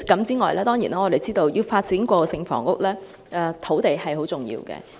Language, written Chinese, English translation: Cantonese, 此外，我們知道要發展過渡性房屋，土地資源相當重要。, Moreover we know that land resource is very important for transitional housing development